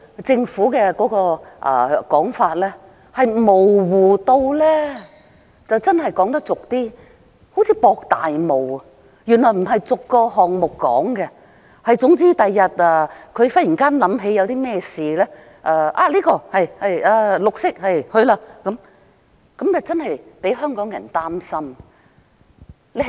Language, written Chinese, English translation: Cantonese, 政府現時說法之模糊，粗俗一點說，真的好像在"博大霧"，原來不是逐個項目說明，總之日後政府忽然想起甚麼事情，說是"綠色"的便去做，這的確令香港人感到擔心。, It turns out that not each and every project will be clearly accounted for and in future the Government can go ahead with anything that it suddenly thinks of and terms it green . This is indeed worrying to Hongkongers